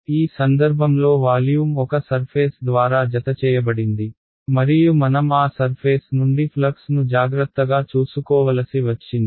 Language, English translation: Telugu, In this case the volume was enclosed by one surface and so I had to take care of the flux through that surface right